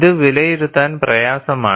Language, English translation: Malayalam, And this is difficult to evaluate